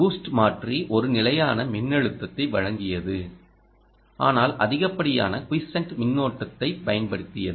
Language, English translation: Tamil, the boost converter provided a stable voltage but used excessive quiescent current